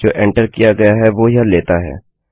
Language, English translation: Hindi, It takes what has been entered